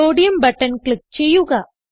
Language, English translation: Malayalam, Let us click on Sodium button